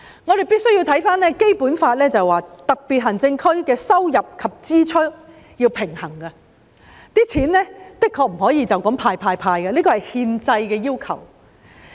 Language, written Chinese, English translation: Cantonese, 我們必須看回《基本法》，當中訂明特別行政區要力求收支平衡，不可以隨便動用儲備"派錢"，這是憲制要求。, We must refer to the Basic Law which stipulates that SAR must strive to achieve a fiscal balance and cannot arbitrarily use its reserves to hand out cash . This is a constitutional requirement